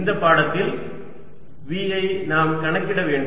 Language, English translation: Tamil, where v is, we have to calculate in this lecture